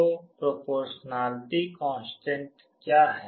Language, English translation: Hindi, So, what is the constant of proportionality